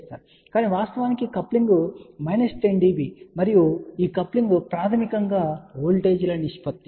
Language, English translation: Telugu, But in reality coupling is minus 10 db and this coupling is basically ratio of voltages